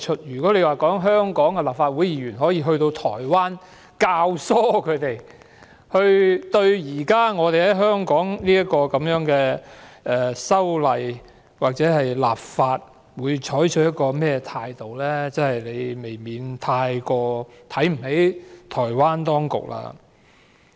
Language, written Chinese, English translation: Cantonese, 如果說香港立法會議員可以左右台灣對現時香港的修例或立法採取某種態度，他們未免太看輕了台灣當局。, If they think that Members of the Legislative Council of Hong Kong can influence Taiwans stance on our current amendment or enactment of legislation they are actually looking down on the Taiwan authorities